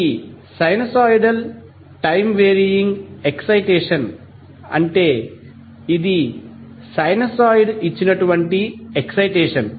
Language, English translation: Telugu, So, the sinusoidal time wearing excitations means that is excitation given by a sinusoid